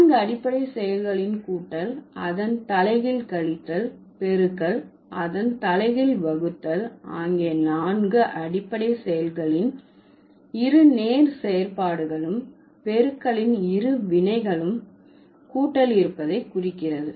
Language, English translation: Tamil, So, one of the four fundamental operations, additions and its inverse subtraction and multiplication and its inverse division, the existence of either inverse operation implies the existence of both direct operations